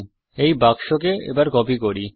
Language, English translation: Bengali, Let us copy this box